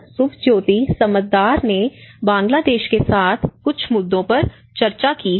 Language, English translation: Hindi, Subhajyoti Samaddar have also discussed about some issues with Bangladesh